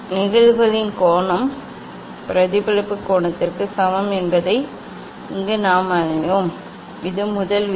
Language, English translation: Tamil, here all of us we know that angle of incidence is equal to angle of reflection this is the first law